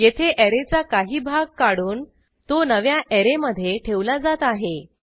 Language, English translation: Marathi, This is nothing but extracting part of an array and dumping it into a new array